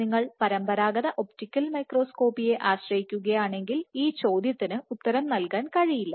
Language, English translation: Malayalam, So, to answer this question if you rely on conventional optical microscopy you would not be able to answer that question